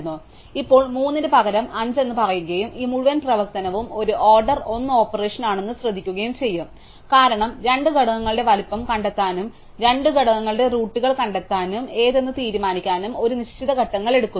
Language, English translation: Malayalam, So, now it will say 5 instead of 3 and notice that this whole operation is an order 1 operation, because we take a fixed number of steps to find out the sizes of the two components to find the roots of the two components and decide which root to massage into which other root